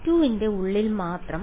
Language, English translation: Malayalam, Yeah only over v 2